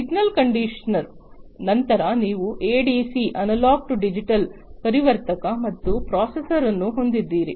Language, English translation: Kannada, So, signal conditioner, then you have the ADC, the analog to digital converter and the processor